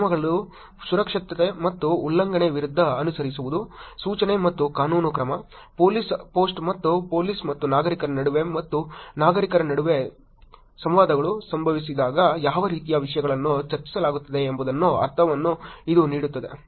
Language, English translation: Kannada, Following, notice and prosecution versus rules, safety and violations; this gives you a sense of what kind of topics are discussed when police post and the interactions happen between police and citizens and between only citizens